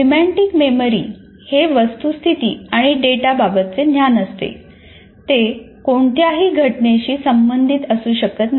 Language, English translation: Marathi, Whereas semantic memory is knowledge of facts and data that may not be related to any event